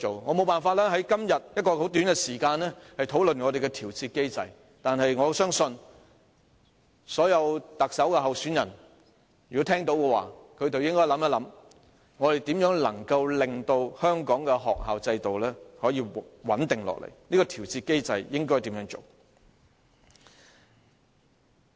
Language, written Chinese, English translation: Cantonese, 我沒法在今天這麼短的時間內討論調節機制，但我相信，所有特首參選人聽到我的發言後，均應思考一下如何令香港的學校制度穩定下來，研究如何制訂調節機制。, I am unable to discuss the adjustment mechanism within such a short time today but I believe that after listening to my speech all the Chief Executive aspirants should consider how to stabilize the school system in Hong Kong and examine how to formulate an adjustment mechanism